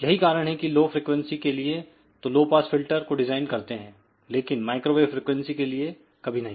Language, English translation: Hindi, So, that is why all pass filters are designed at lower frequency, but never ever at microwave frequency